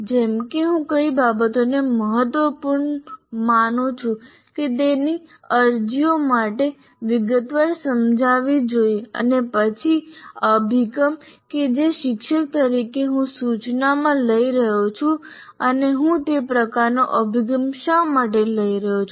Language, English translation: Gujarati, Like what are the things that I consider important or its applications, whatever assumptions that I am making I should explain in detail and then the approach that as a teacher I am taking in the instruction and why am I taking that kind of approach thereof